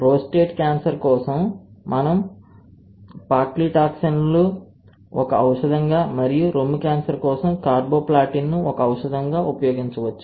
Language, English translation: Telugu, For prostate cancer, we have used paclitaxel as one of the drugs and for breast cancer, we have used carboplatin as one of the drugs